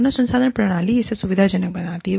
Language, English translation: Hindi, The human resource systems, facilitate this